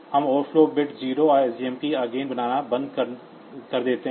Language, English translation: Hindi, So, we stop make the overflow bit 0 and SJMP again